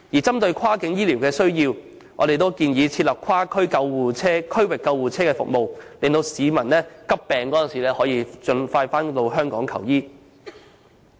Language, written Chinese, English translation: Cantonese, 針對跨境醫療的需要，我們亦建議設立跨區域救護車服務，以便市民在患上急病時可盡快回港求醫。, With regard to cross - boundary demand for health care services we also suggest that cross - region ambulance services should be set up so that patients who have acute diseases may return to Hong Kong to seek medical consultation as early as possible